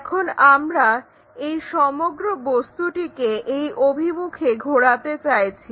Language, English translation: Bengali, Now, what we want to do is rotate this entire object in this direction